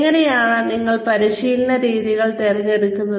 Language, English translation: Malayalam, How do you select, training methods